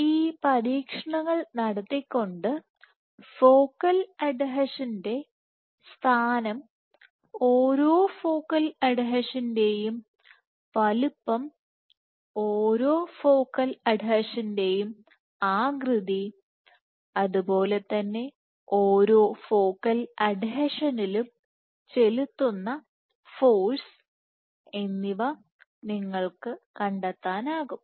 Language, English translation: Malayalam, So, you can find out by doing these experiments, you can find out the location of the focal adhesion, the size of each focal adhesion, the shape of each focal adhesion and as well as the force exerted at each focal adhesion